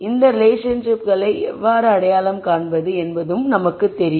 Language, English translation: Tamil, And we also know how to identify these relationships